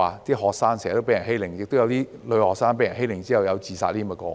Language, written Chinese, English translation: Cantonese, 有學生經常被欺凌，亦曾出現女學生被欺凌後自殺的個案。, Some students are often bullied and some girls have taken their own lives after being bullied